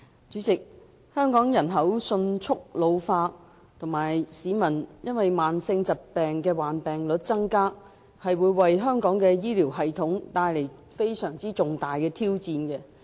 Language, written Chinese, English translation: Cantonese, 主席，香港人口迅速老化，以及市民患上慢性疾病的比率增加，為香港的醫療系統帶來非常重大的挑戰。, President the rapid ageing of Hong Kongs population and the rising rate of people with chronic diseases have presented a major challenge to Hong Kongs health care system